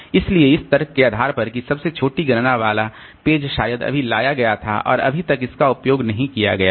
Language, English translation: Hindi, So, based on the argument that the page with the smallest count was probably just brought in and has yet to be used